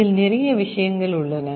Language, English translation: Tamil, Internally there are a lot of things